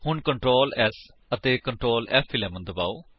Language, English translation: Punjabi, So press Ctrl, S and Ctrl, F11